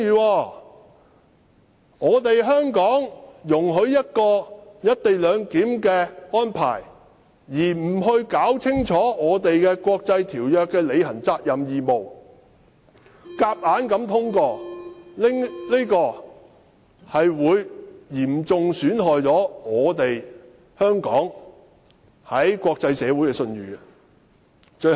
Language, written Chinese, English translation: Cantonese, 香港只顧容許"一地兩檢"的安排，而不弄清楚香港就國際條約須履行的責任和義務，然後強行通過《條例草案》，將會嚴重損害香港在國際社會上的信譽。, The fact that Hong Kong sets its eyes only on approving the co - location arrangement and forces through the Bill without clarifying the duties and obligations that we must comply with under the international treaties will seriously tarnish the credibility of Hong Kong in the international community